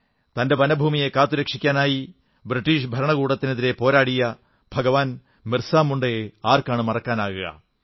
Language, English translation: Malayalam, Who can forget BhagwanBirsaMunda who struggled hard against the British Empire to save their own forest land